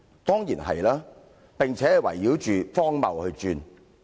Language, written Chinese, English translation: Cantonese, 當然是，並且是圍繞着荒謬而轉。, Of course and it is rotating around an axis made of absurdities